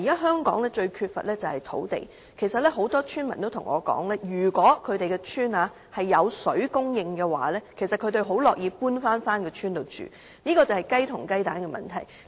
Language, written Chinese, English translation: Cantonese, 香港現時最缺乏的是土地，其實很多村民都跟我說，如果他們的鄉村有食水供應，他們很樂意搬回鄉村居住，這是雞和雞蛋的問題。, Land is the most lacking in Hong Kong . In fact many villagers have told me that they are happy to return to the villages for settlement if there is potable water supply . It is a question of chicken or egg